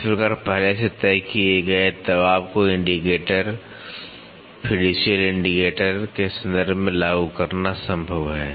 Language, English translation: Hindi, It is thus possible to apply a pressure already decided upon by referring it to the indicator, fiducial indicator